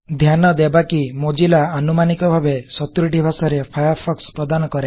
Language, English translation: Odia, Notice that Mozilla offers Firefox in over 70 languages